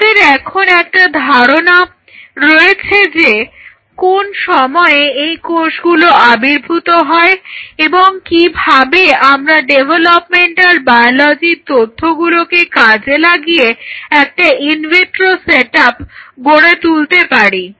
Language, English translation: Bengali, So, we have an idea that at what point these cells will appear and how that information of developmental biology could be exploited to develop an in vitro setup